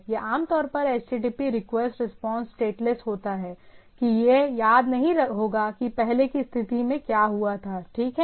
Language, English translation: Hindi, Typically, this is typically HTTP request response are stateless, that it will not remember what happened in the earlier state, right